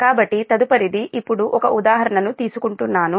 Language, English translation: Telugu, so next is will take an example now